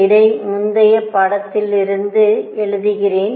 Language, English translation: Tamil, Let me write in the previous lecture